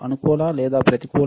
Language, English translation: Telugu, positive, or negative